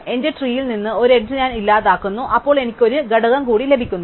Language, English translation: Malayalam, So, I delete the first edge from the graph from my tree and I have one component more